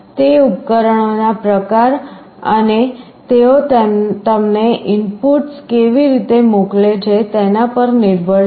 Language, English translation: Gujarati, It depends on the type of devices and the way they are sending you the inputs